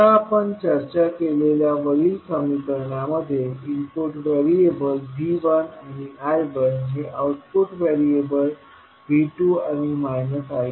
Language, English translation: Marathi, Now, the above equation which we discussed relate the input variables V 1 I 1 to output variable V 2 and minus I 2